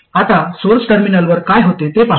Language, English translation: Marathi, Now let's see what actually happens at the source terminal